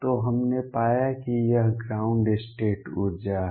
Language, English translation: Hindi, So, we found that this is the ground state energy